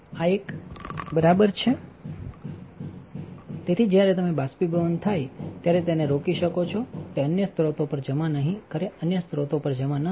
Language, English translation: Gujarati, So, rotary pocket this is a shield so, that you can prevent the when this gets evaporated it will not deposit on the other sources do not deposit on other sources